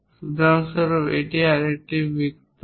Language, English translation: Bengali, For example, this is another circle